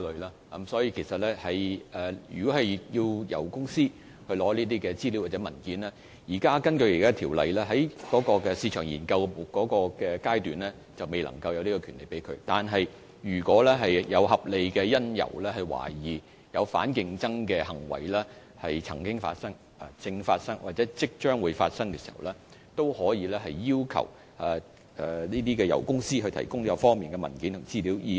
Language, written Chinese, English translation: Cantonese, 根據現行法例，雖然競委員在進行市場研究階段，並沒有權向油公司索取有關資料和文件，但如果有合理理由懷疑反競爭行為曾經發生、正在發生或即將發生，競委會可要求油公司提供有關文件和資料。, Under the existing law although the Commission has no power to obtain the relevant information and documents from oil companies while conducting market studies it may request oil companies to do so if it has reasonable cause to suspect that anti - competitive conduct has taken place is taking place or is about to take place